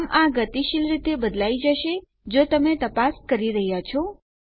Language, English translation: Gujarati, So these will be dynamically replaced if you are performing the check